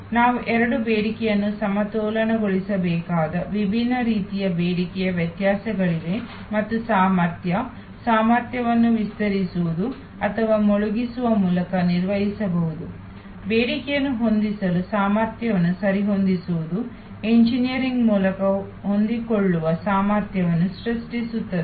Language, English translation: Kannada, There would be different types of demand variations we have to balance both demand and capacity, capacity can be managed through stretching or sinking capacity levels adjusting capacity to match demand are creating flexible capacity by engineering